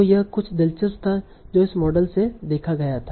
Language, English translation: Hindi, So, this was something interesting that they saw from this model